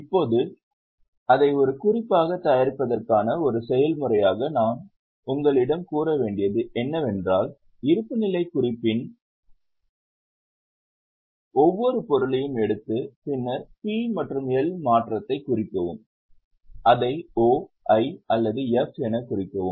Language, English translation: Tamil, Now as a process of preparing it as a working node, what I had asked you to do was take every item of balance sheet then P&L, mark the change and mark it as O, I or F